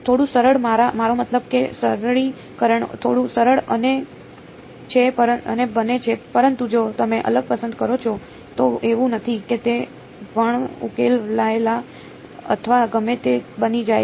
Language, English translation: Gujarati, Little bit easier I mean the simplification gets a little bit easier, but if you choose different, it is not that it becomes unsolvable or whatever